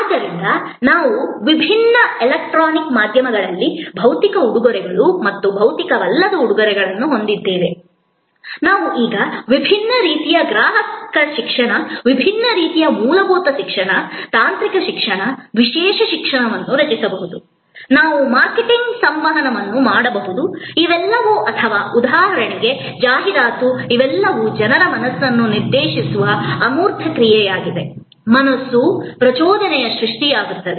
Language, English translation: Kannada, So, we have across different electronic media, across physical presents and non physical presents, we can now create different kind of customer education, different kind of basic education, technical educations, specialize education, we can do marketing communication, these are all or a TV ad for example, these are all intangible action directed at minds of people, sort of mental stimulus creation